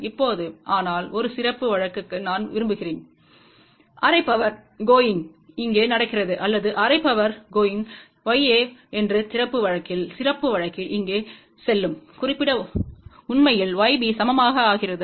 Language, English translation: Tamil, Now, but for a special case I just want to mention for half power going here or half power going here, in that special case Y a actually becomes equal to Y b